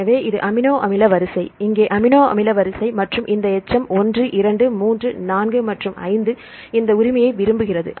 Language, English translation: Tamil, So, this is the amino acid sequence, here also amino acid sequence and this residue 1, 2, 3, 4, 5 like this right